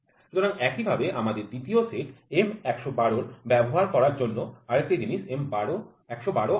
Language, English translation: Bengali, So in the same way for; M so, we have the other thing M 112 so, using the second set M 112